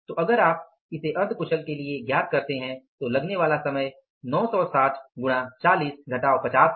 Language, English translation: Hindi, So, if you calculated for the semi skilled what is the time coming out to be 960 into 40 minus 50 this will come out as how much